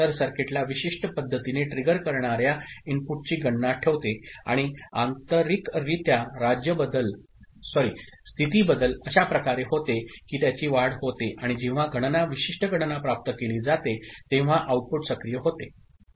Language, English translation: Marathi, So, it keeps a count of the input that is triggering the circuit in certain manner and internally the state change takes place in such a manner that it gets incremented and when the count, a specific count has been achieved, an output is activated